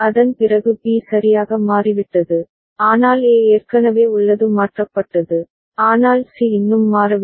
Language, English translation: Tamil, After that B has changed right, but A has already changed, but C has not yet changed